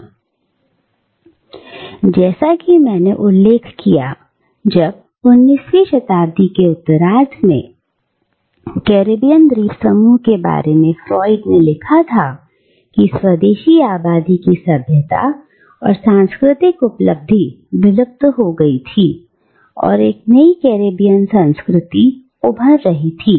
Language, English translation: Hindi, However, as I just mentioned, when Froude wrote about the Caribbean islands in the late 19th century, the civilisation and cultural attainments of the indigenous population had all but vanished and a new Caribbean culture was yet to emerge